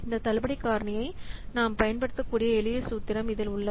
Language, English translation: Tamil, So, in the this is a simple formula by using which we can use this discount factor